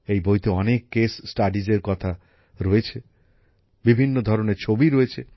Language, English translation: Bengali, There are many case studies in this book, there are many pictures